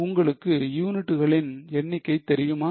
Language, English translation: Tamil, Do you know number of units